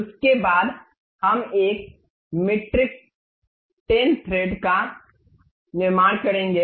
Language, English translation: Hindi, After that we will go construct a metric 10 thread